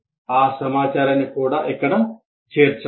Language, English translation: Telugu, So that information should be appended here